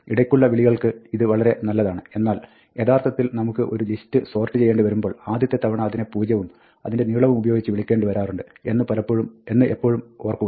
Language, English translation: Malayalam, Now, this is fine for the intermediate calls, but, when we want to actually sort a list, the first time we have to always remember to call it with zero, and the length of the list